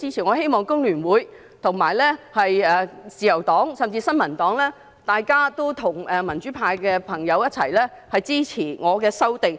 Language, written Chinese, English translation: Cantonese, 我希望香港工會聯合會、自由黨，甚至新民黨，都會與民主派的朋友一起支持我的修訂。, I hope that the Hong Kong Federation of Trade Unions the Liberal Party and even the New Peoples Party will join the pro - democracy Members in supporting my amendment